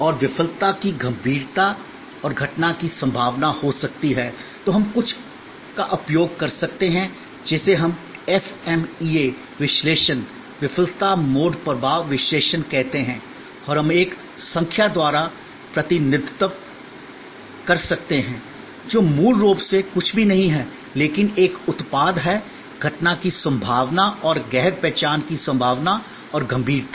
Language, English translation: Hindi, And severity of the failure that can happen and the probability of occurrence, then we can use something what we call the FMEA analysis, the Failure Mode Effect Analysis by and we can represented by a number, which is basically nothing but, a product of the probability of the occurrence and the probability of non detection and the severity